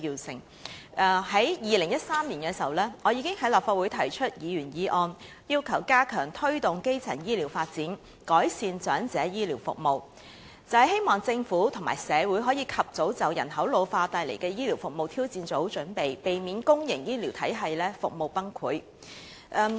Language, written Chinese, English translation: Cantonese, 早於2013年，我已經在立法會提出"加強推動基層醫療發展，改善長者醫療服務"的議員議案，希望政府及社會可以及早就人口老化所帶來的醫療服務挑戰做好準備，避免公營醫療體系服務崩潰。, As early as 2013 I already proposed a Members motion on Stepping up the promotion of primary healthcare development and improving healthcare services for elderly people in the Legislative Council in the hope that the Government and society could make early preparations for the challenges posed by population ageing so as to prevent a collapse of services of the public health care system